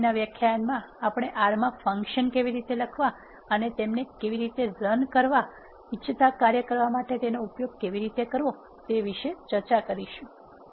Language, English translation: Gujarati, In the next lecture we are going to discuss about how to write functions in R, and how to invoke them, how to use them to perform the task we wanted